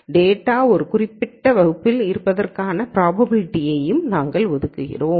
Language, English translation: Tamil, We also assign a probability for the data being in a particular class